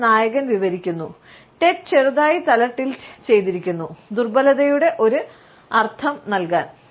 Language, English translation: Malayalam, It even gets described by the protagonist; Ted had slightly tilted to give a sense of vulnerability